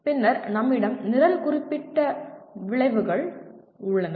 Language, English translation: Tamil, And then we have Program Specific Outcomes